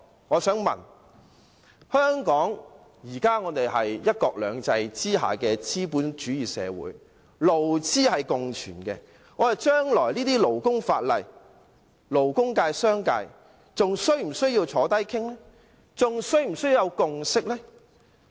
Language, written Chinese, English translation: Cantonese, 香港是"一國兩制"下的資本主義社會，勞資共存，就將來的勞工法例，勞工界和商界是否仍要坐下來商討？, Under one country two systems Hong Kong is a capitalist society where employers and employees co - exist . As regards future labour laws should the labour sector and the commercial sector still have to sit down to negotiate?